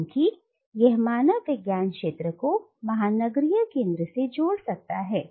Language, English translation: Hindi, Because it will connect the anthropological field with the metropolitan centre